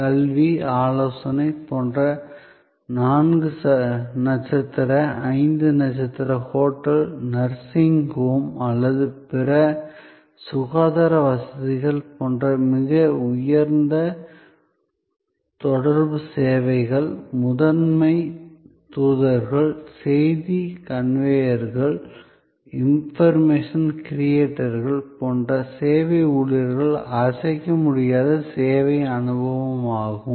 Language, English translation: Tamil, So, in most high contact services, like education, like consultancy, like a four star, five star hotel, like a nursing home or other health care facilities, the service personnel at the primary ambassadors, message conveyors, impression creators, which tangibles the intangible which is the service experience